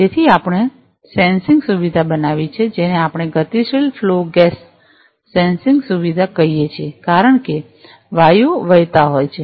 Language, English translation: Gujarati, So, we have fabricated a sensing facility which we call a dynamic flow gas sensing facility, because the gases are flowing